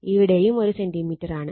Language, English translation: Malayalam, And here also this is the 2 centimeter